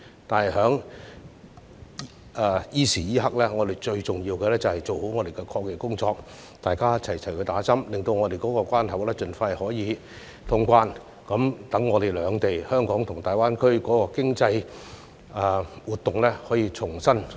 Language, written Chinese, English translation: Cantonese, 但是，在此時此刻，我們最重要的是做好抗疫工作，大家一起接種疫苗，令本港的關口可以盡快通關，讓香港及大灣區兩地的經濟活動可以重啟。, Having said that at this point in time the most important task for us is to do a good job in fighting the epidemic . Let us get vaccinated so that traveller clearance at the border of Hong Kong can be resumed as soon as possible for the economic activities in Hong Kong and the Greater Bay Area to restart